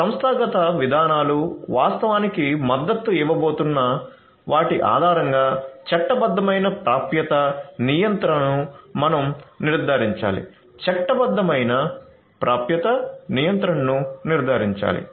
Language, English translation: Telugu, We have to ensure that legitimate access control based on what actually the organizational policies are going to support so legitimate access control is has to be ensured